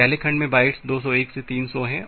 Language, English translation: Hindi, So, the first segment contains bytes 201 to 300